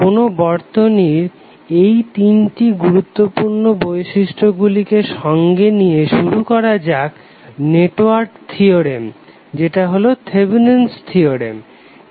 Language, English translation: Bengali, So with the reference of these three important properties of the circuit let us start the network theorem which is called as thevenins theorem